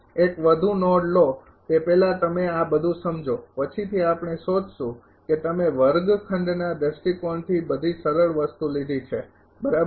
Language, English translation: Gujarati, Take one more node first you understand all this later we will find you have taken all the simplest thing from the classroom point of view right